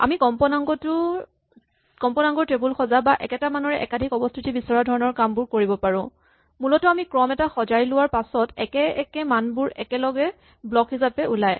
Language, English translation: Assamese, We can also do things like building frequency tables or checking for duplicates, essentially once we sort a sequence all identical values come together as a block